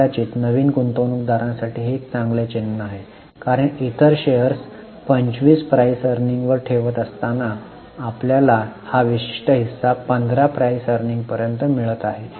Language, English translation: Marathi, Perhaps for a new investor it is a good sign because while other shares are quoting at 25 PE we are getting this particular share at a 15 PE